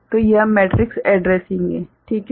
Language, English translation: Hindi, So, and this is matrix addressing righ fine